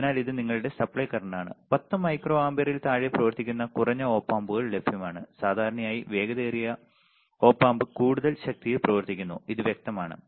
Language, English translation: Malayalam, So, the this is your supply current, there are lower Op Amps available that run on less than 10 micro ampere usually the faster Op amp runs on more power, it is obvious it is obvious